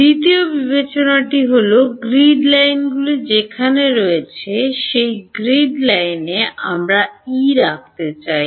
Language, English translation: Bengali, Second consideration is we would like to have E at the grid lines where the grid lines are